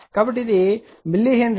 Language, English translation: Telugu, So, it is millihenry